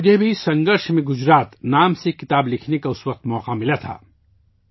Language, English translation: Urdu, I had also got the opportunity to write a book named 'Sangharsh Mein Gujarat' at that time